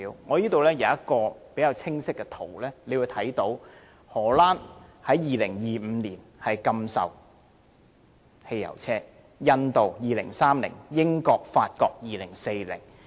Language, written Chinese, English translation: Cantonese, 我這裏有一個較清晰的圖表，大家可以看到荷蘭將於2025年禁售汽油車，印度是2030年，英國和法國則是2040年。, I have a clear table here . We can see that the Netherlands will ban the sale of fuel - engined vehicles starting from 2025 . India will do so from 2030 onwards